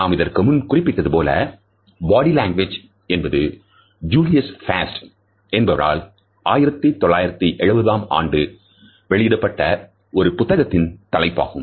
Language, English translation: Tamil, As we have commented earlier, Body Language was initially the title of a book which was published in 1970 by Julius Fast, and it gripped the popular imagination immediately